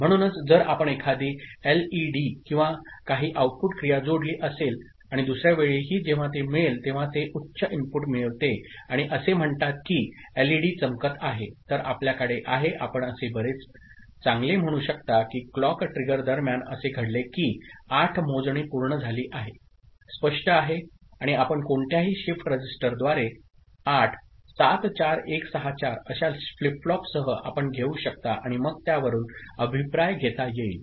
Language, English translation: Marathi, So, if you have connected an LED or some output action and also from this point another time when it is getting, it is getting a high input and say the LED is glowing, then you have, you have you can very well say that 8 clock trigger has taken place in between say, count of 8 has been completed, clear and this can be achieved by any shift register with 8 such flip flop like 74164 you can take and then, the feedback can be taken from that